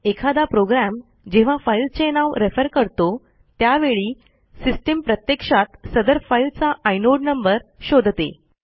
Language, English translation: Marathi, Whenever a program refers to a file by name, the system actually uses the filename to search for the corresponding inode